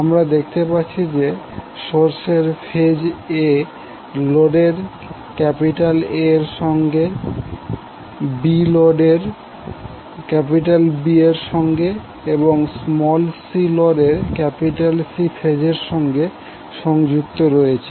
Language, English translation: Bengali, So you will see that the A phase of the source is connected to A of load, B is connected to B of load and then C is connected to C phase of the load